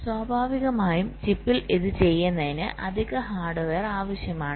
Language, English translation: Malayalam, naturally, to do this on chip we need additional hardware